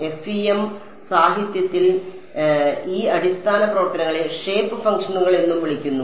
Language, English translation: Malayalam, In the FEM literature these basis functions are also called shape functions